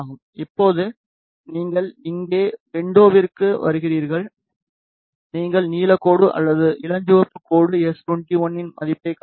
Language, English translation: Tamil, Now, you come to window here you the blue line or the pink line it shows you the value of s 21